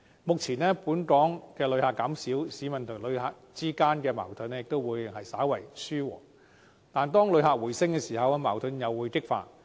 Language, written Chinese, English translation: Cantonese, 目前，本港旅客減少，市民與旅客之間的矛盾稍為紓緩，但一旦旅客人數回升，矛盾又會激化。, At present the number of visitors to Hong Kong has decreased and conflicts between local residents and visitors have been slightly relieved . But once the number of visitors increases again the conflicts may intensify